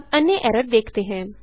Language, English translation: Hindi, lets next look at another error